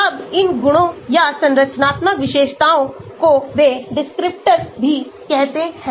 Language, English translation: Hindi, Now, these properties or structural features they are also called descriptors